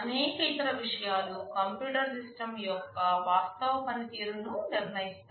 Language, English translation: Telugu, There are many other things that determine the actual performance of a computer system